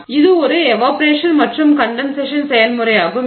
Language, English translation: Tamil, So, so this is an evaporation and condensation process